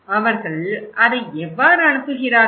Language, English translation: Tamil, How do they send it